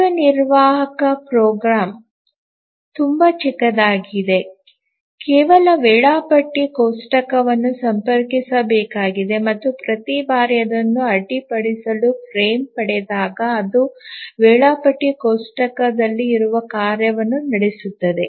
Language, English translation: Kannada, The executive program is very small, just needs to consult the schedule table and each time it gets a frame interrupt, it just runs the task that is there on the schedule table